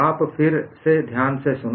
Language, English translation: Hindi, You listen again carefully